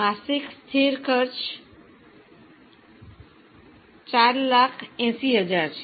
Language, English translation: Gujarati, The monthly fixed cost is 4,000